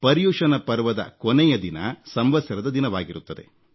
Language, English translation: Kannada, The last day of ParyushanParva is observed as Samvatsari